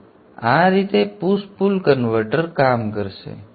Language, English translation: Gujarati, So this is how the push pull converter will operate